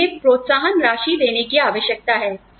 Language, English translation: Hindi, We need to give them incentives